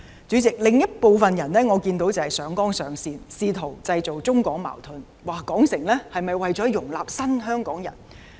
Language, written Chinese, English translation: Cantonese, 主席，我看到另一部分人上綱上線，試圖製造中港矛盾，說填海是否為了容納"新香港人"。, President I have seen some other people inflating the issue out of proportions . They are trying to create conflicts between Hong Kong and the Mainland and querying this reclamation project as being intended to accommodate new Hongkongers